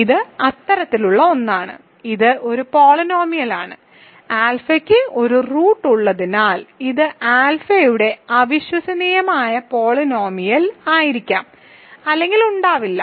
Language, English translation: Malayalam, This is one such, this is a polynomial which as alpha has a root, it may or may not be irreducible polynomial of alpha